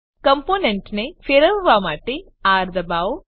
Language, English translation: Gujarati, To rotate component, Press R